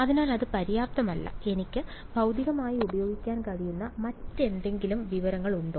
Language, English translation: Malayalam, So, that is not sufficient; is there any other information that I can use physically